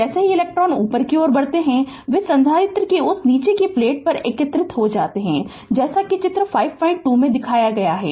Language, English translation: Hindi, As the electrons move upward, they collect on that lower plate of the capacitor as shown in figure 5